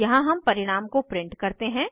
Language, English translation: Hindi, Here we print the result